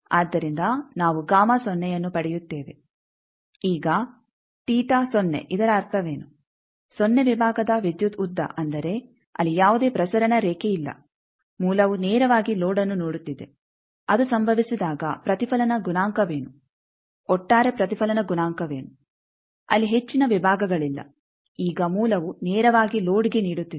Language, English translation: Kannada, So, we get gamma of 0 now what is the meaning that theta 0 electrical length of the section 0 that means, that there is no transmission line the source is directly seeing the load when that happens what is the reflection coefficient overall reflection provision there are not much differentiation now the source is directly giving to load